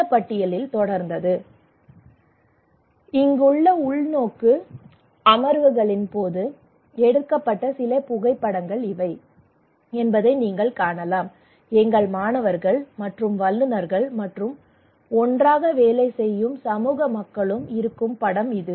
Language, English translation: Tamil, so also this list continued, And you can see that these are some of the photographs during these brainstorming sessions here are our students and experts and also the community people who are working together